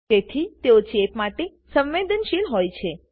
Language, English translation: Gujarati, So, they are susceptible to infections